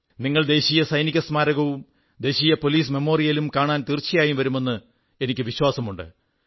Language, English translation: Malayalam, I do hope that you will pay a visit to the National Soldiers' Memorial and the National Police Memorial